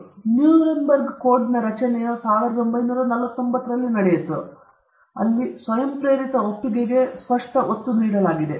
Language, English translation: Kannada, So, the creation of Nuremberg code took place in 1949, where there is an explicit emphasis on voluntary consent